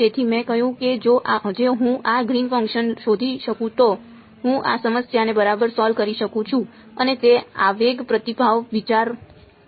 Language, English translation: Gujarati, So, I said if I can find out this Green function I can solve this problem right and that was the impulse response idea